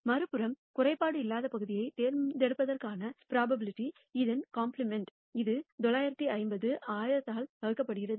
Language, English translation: Tamil, On the other hand, the probability of picking a non defective part is the complement of this, which is 950 divided by 1,000